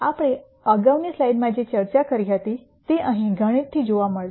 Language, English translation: Gujarati, The discussion that we had in the previous slide is seen here mathematically